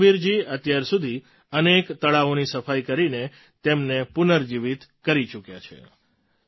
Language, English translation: Gujarati, So far, Ramveer ji has revived many ponds by cleaning them